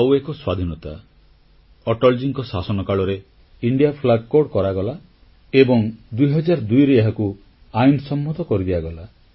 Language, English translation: Odia, One more freedomthe Indian Flag Code was framed in Atalji's tenure and it came into effect in 2002